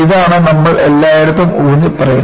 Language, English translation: Malayalam, So, this is what, we have been emphasizing all along